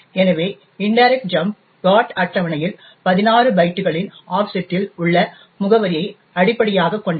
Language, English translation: Tamil, So, the indirect jump is based on an address at an offset of 16 bytes in the GOT table